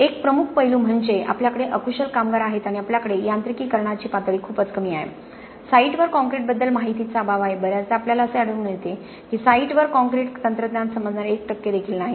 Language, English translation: Marathi, One major aspect is we have unskilled workers and we have very low levels of mechanization, there is also lack of knowledge about concrete on the site very often you find that there is not even 1 percent who understands concrete technology on the site, this is obviously going to be a perfect recipe for poor quality of concrete